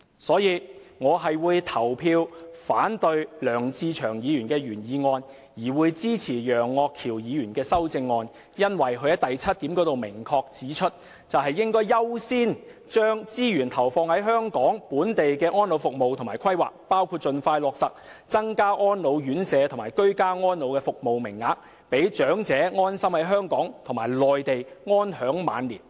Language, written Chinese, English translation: Cantonese, 所以，我會表決反對梁志祥議員的原議案，而支持楊岳橋議員的修正案，因為他在修正案第七項中明確指出，"應考慮先將資源投放於本港的安老服務及規劃，包括盡快落實增加安老院舍及居家安老的服務名額，讓長者安心在本港或內地安享晚年"。, Therefore I will vote against the original motion raised by Mr LEUNG Che - cheung and for Mr Alvin YEUNGs amendment as it is stated clearly in the seventh point of the latter that the Government should consider as a matter of priority injecting resources into elderly care services and planning in Hong Kong including expeditiously effecting an increase in the number of service places for residential care and ageing in place so that elderly persons can spend their twilight years in Hong Kong or on the Mainland without worries